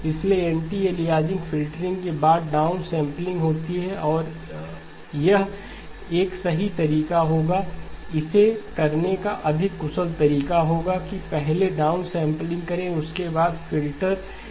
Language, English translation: Hindi, So anti aliasing filtering followed by the down stamp and this would be a correct way or the more efficient way of doing this will be to do the down sampling first, followed by the filter H of Z, now